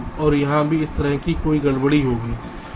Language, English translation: Hindi, again, here there will be a disturbance like this